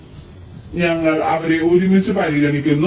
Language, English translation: Malayalam, so we are considering them together